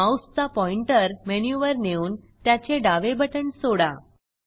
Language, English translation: Marathi, Place the mouse pointer on the menu and release the left mouse button